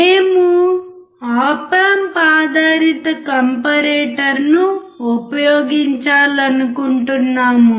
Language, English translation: Telugu, We want to use op amp based comparators